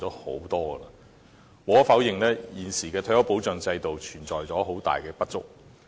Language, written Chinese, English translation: Cantonese, 無可否認，現時的退休保障制度存在很大的不足。, We cannot deny the many deficiencies in the present retirement protection system